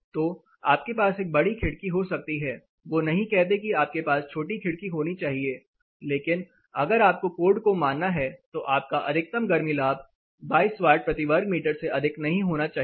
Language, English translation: Hindi, So, you can have a larger window they say that you have to have smaller window, but if you have to meet the code your overall heat gain should not exceed 22 watts for meter square